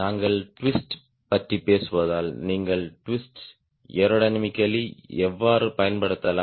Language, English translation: Tamil, ok, since we talk about twist, how can you use the twist aerodynamically